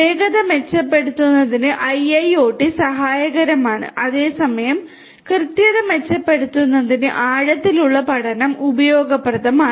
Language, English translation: Malayalam, IIoT is helpful for improving the speed; whereas, deep learning is useful for improving the accuracy